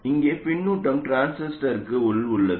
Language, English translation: Tamil, Here the feedback is internal to the transistor